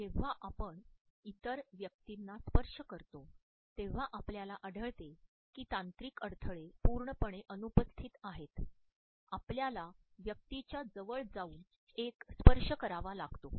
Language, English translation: Marathi, When we touch other persons, we find that the technological barriers are absolutely absent, we have to move close to a person and establish a touch